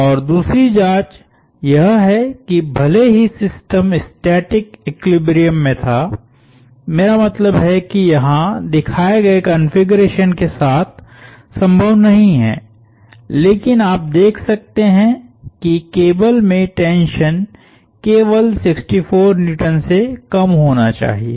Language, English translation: Hindi, And a second check is that even if the system was in static equilibrium, I mean which is not possible with the configuration shown here, but you can see that the tension in the cable should only the less than 64 Newtons